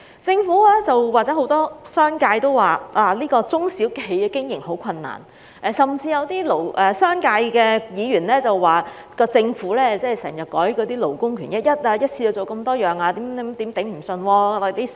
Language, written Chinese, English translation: Cantonese, 政府及很多商界人士也說，中小企業經營很困難，甚至有些商界的議員批評政府經常修改勞工權益，一次過要落實多項建議，聲言商界會吃不消。, Both the Government and many members of the business sector mentioned that SMEs have encountered great operational difficulties and some Members from the business sector have even criticized the Government for changing labour rights frequently